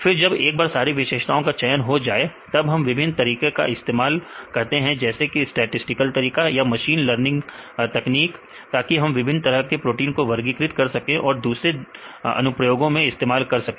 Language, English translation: Hindi, Then once we select the features or when we extract the features, then we use the different methods like the statistical methods or machine learning techniques right to discriminate or to classify the different types of proteins or different applications